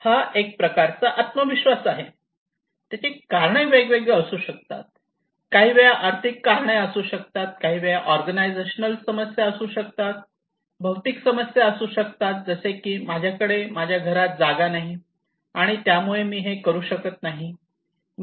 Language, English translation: Marathi, The kind of confidence the reason could be different it could be sometimes financial reasons it could be sometimes organizational problem, physical issues like if I do not have space in my house I cannot do it